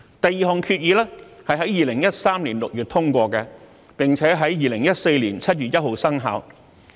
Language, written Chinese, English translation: Cantonese, 第二項決議在2013年6月通過，並且在2014年7月1日生效。, The second resolution was adopted in June 2013 and came into force on 1 July 2014